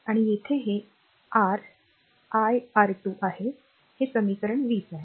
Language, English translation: Marathi, And here it is your iR 2 in that is equation 20